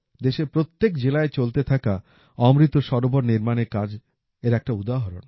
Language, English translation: Bengali, An example of this is the 'AmritSarovar' being built in every district of the country